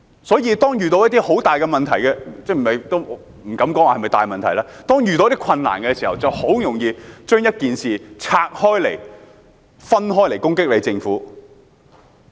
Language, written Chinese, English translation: Cantonese, 所以，當遇到一些很大的問題——也不敢說是否大問題——當遇到一些困難的時候，人們就很容易利用一件事攻擊政府。, Therefore when faced with some enormous issues―well it is not necessarily the enormity that matters―when faced with some difficulties people are apt to seize on an incident to attack the Government